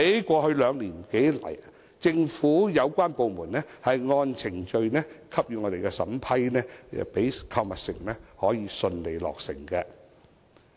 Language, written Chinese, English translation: Cantonese, 過去兩年多以來，政府有關部門按程序給予審批，讓購物城可以順利落成。, Over the past two - odd years relevant government departments have granted approvals in accordance with the procedures so as to facilitate the smooth completion of the shopping centre